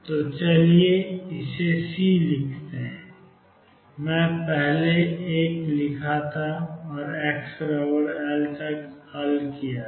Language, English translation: Hindi, So, let us write it C, I wrote one earlier and build up the solution up to x equals L